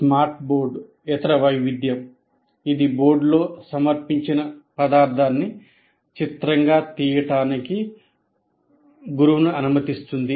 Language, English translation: Telugu, Now coming to the smart board, other variation, it enables the teacher to capture the material present on the board as an image